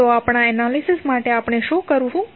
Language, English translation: Gujarati, So, for our analysis what we will do